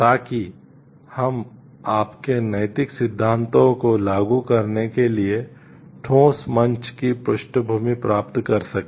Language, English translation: Hindi, So, that the we can get a background to solid platform to apply our moral theories